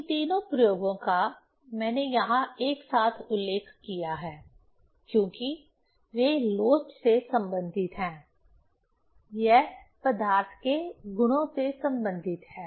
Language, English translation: Hindi, These three experiment, I mentioned here together, because they are related with the elasticity; it is related with the properties of the matter